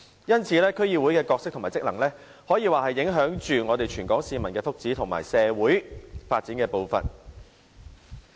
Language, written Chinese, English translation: Cantonese, 因此，區議會的角色和職能可說是影響全港市民的福祉和社會發展的步伐。, So the role and functions of DCs have implications on the well - being and social development of Hong Kong